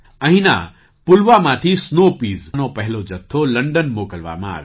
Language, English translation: Gujarati, The first consignment of snow peas was sent to London from Pulwama here